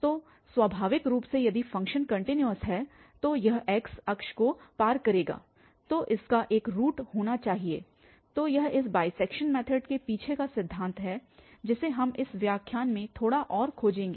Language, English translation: Hindi, So, naturally the if the function is continuous it will cross the x axes so, it must have a root then so, that is the principle behind this bisection method which we will be exploring a bit more in this lecture